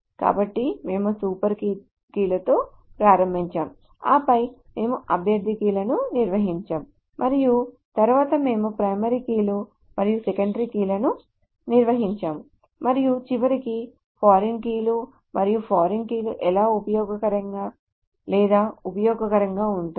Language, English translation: Telugu, So we started off with super keys, then we defined candidate keys, and then we defined primary keys and secondary keys, and finally foreign keys, and how is a foreign key helpful or useful